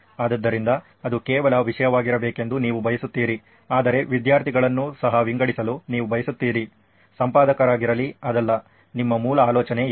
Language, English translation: Kannada, So you want that to be the only content and but you want also students to sort of, let be editor, is not that what your original idea was